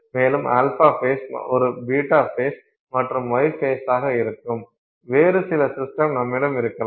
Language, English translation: Tamil, You may have some other system where you have an alpha phase, a beta phase and a gamma phase